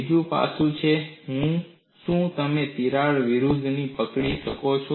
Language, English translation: Gujarati, Another aspect is can you arrest a crack growth